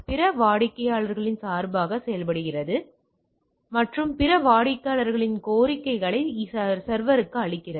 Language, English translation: Tamil, Acts on behalf of other clients and presents requests from the other clients to the server, right